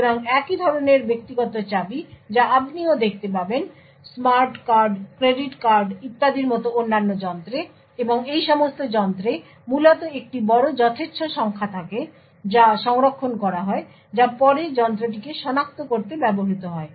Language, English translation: Bengali, So, a similar type of private keys that you would see also, in various other devices like smart cards, credit cards and so on and all of these devices essentially have a large random number which is stored, which is then used to identify the device